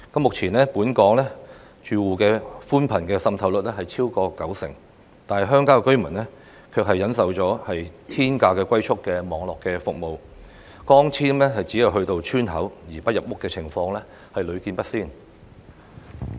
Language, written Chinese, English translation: Cantonese, 目前本港住戶的寬頻滲透率超過九成，但鄉郊居民卻須忍受天價的"龜速"網絡服務，光纖只到村口而不入屋的情況更屢見不鮮。, At present the household broadband penetration rate in Hong Kong has reached over 90 % but residents in rural areas have to endure an expensive but sluggish network speed . It is not an uncommon sight that optical fibre cables can only reach the entrance of a village but not each household in a village